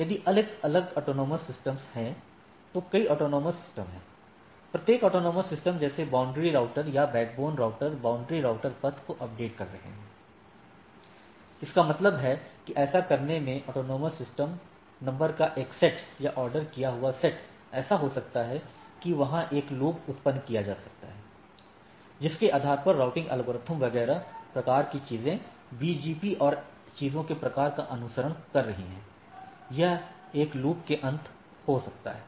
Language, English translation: Hindi, If there are different autonomous systems, there are several autonomous systems, every autonomous system such boundary routers or backbone router, boundary routers are updating the paths; that means, a set of or a ordered set of AS numbers now in doing so, it may so happen that there can generate a loop based on that the routing algorithms etcetera type of things are following like in BGP and type of things, it may end up in a loop